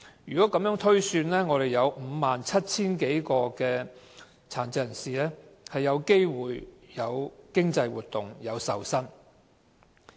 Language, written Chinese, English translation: Cantonese, 如果按此推算，即有 57,000 多名殘疾人士有機會從事經濟活動並受薪。, On this basis 57 000 PWDs had the opportunity to participate in economic activities and receive income